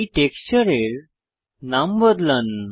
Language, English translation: Bengali, lets rename this texture